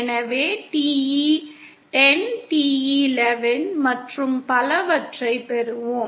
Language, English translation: Tamil, So we will get modes like TE 10, TE 11 and so on